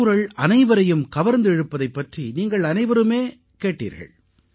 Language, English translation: Tamil, All of you too heard about the populairity of Thirukkural